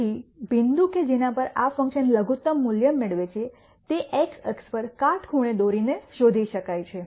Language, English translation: Gujarati, So, the point at which this function attains minimum value can be found by dropping a perpendicular onto the x axis